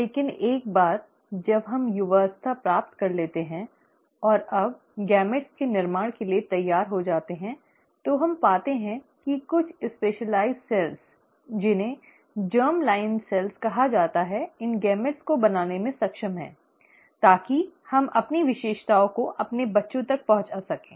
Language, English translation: Hindi, But, once one attains puberty and is now ready for formation of gametes, we find that certain specialized cells, called as the germ line cells, are capable of forming these gametes, so that we can pass on our characteristics to our children